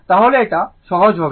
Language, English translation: Bengali, Then it will be easier